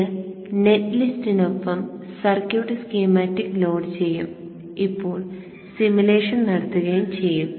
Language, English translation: Malayalam, Now this will load the circuit schematic with the net list and now run to perform the simulation